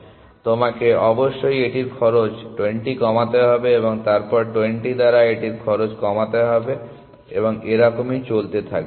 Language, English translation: Bengali, So, you must reduce the cost of this by 20 reduce the cost of this by 20 and then reduce the cost of this by 20 and so on and so for